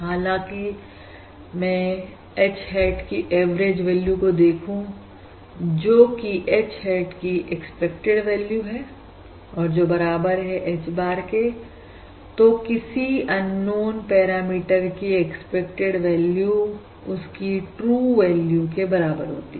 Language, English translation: Hindi, However, if I look at the average value of H hat, that is, expected value of H hat, that is equal to H bar, that is expected value, is basically equal to the true value of the underlying unknown parameter